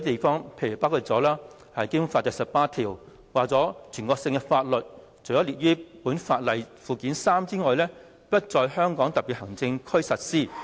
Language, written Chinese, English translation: Cantonese, 《基本法》第十八條訂明，"全國性法律除列於本法附件三者外，不在香港特別行政區實施。, Article 18 of the Basic Law provides that National laws shall not be applied in the Hong Kong Special Administrative Region except for those listed in Annex III to this Law